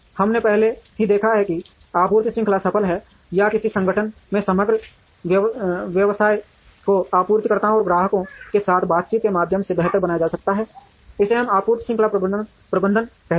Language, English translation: Hindi, We have already seen that the supply chain is successful or the overall business of an organization can be made better, through interacting with the suppliers and the customers, this we call as the supply chain management